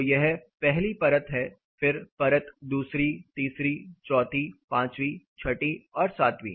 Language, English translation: Hindi, So, this is layer 1, layer 2, 3, 4, 5, 6 and 7